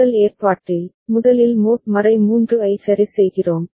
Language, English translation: Tamil, In the first arrangement, first we are putting the mod 3 ok